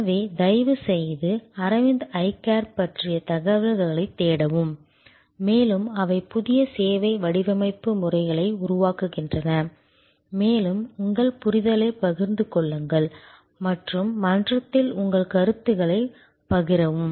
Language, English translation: Tamil, So, please do search for information on Aravind Eye Care and they are path breaking new service design methodologies and share your understanding and share your comments on the forum